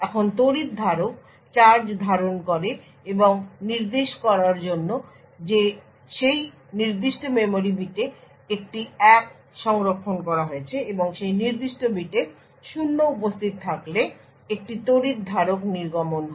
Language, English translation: Bengali, Now the capacitor holds charge and to indicate that a 1 is stored in that particular memory bit or a capacitor discharges when a 0 is present in that particular bit